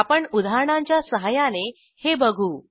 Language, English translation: Marathi, We will do this with the help of examples